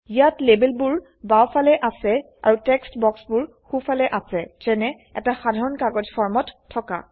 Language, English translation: Assamese, Here the labels are to the left and the text boxes on the right, just like a typical paper form